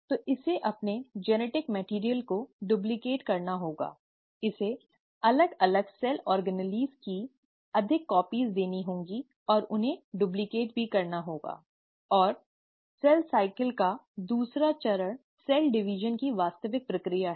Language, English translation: Hindi, So it has to duplicate it's genetic material, it also has to duplicate and give more copies of different cell organelles, and the second stage of cell cycle is the actual process of cell division